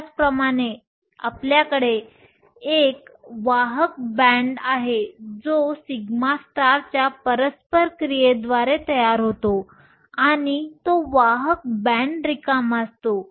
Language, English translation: Marathi, Same way, you have a conduction band that is formed by interaction of the sigma star and that is empty conduction band